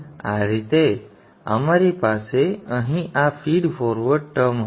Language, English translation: Gujarati, So this is called feed forward term